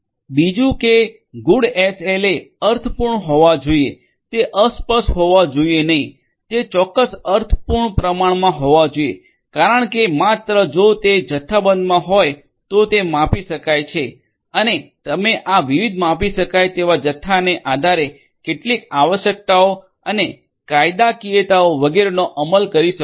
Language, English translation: Gujarati, Second is that the good SLAs should be meaningful right, it should not be vague it should be precise meaningful quantifiable because only if it is quantifiable then it can be measured and you can enforce certain requirements and legalities etc